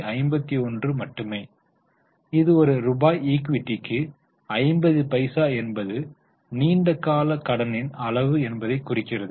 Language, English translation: Tamil, Signifying that for 1 rupee of equity 50 pese is a amount of long term debt